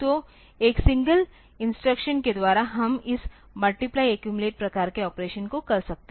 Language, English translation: Hindi, So, that by a single instruction we can do this multiply accumulate type of operation